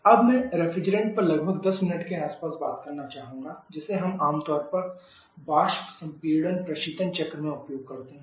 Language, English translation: Hindi, Now, I would like to talk little bit about 10 minutes on the refrigerant that we command using vapour compression Refrigeration cycle